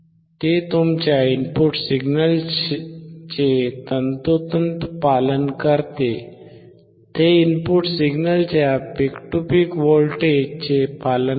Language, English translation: Marathi, We will see it exactly follows your input signal it follows the same peak to peak voltage of an input signal you can see it is from 1